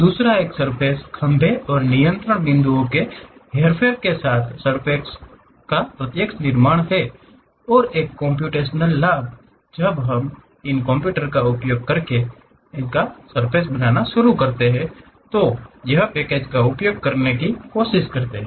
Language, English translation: Hindi, The second one is direct creation of surface with manipulation of the surface poles and control points and a computational advantage when people started using these computers or trying to use packages